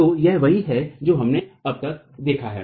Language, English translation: Hindi, So, this is what we have seen so far